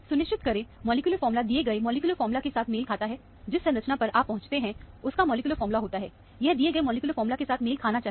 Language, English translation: Hindi, Make sure, the molecular formula matches with the given molecular formula; the structure that you arrive at, it has a molecular formula; it should match with the given molecular formula